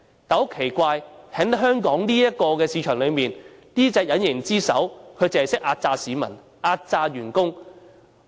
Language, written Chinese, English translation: Cantonese, 但是，香港這個市場很奇怪，這隻隱形之手只會壓榨市民、壓榨員工。, However the Hong Kong market is a strange one where the invisible hand will only exploit the people and the employees